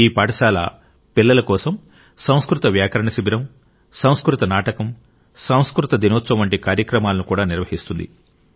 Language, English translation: Telugu, For children, these schools also organize programs like Sanskrit Grammar Camp, Sanskrit Plays and Sanskrit Day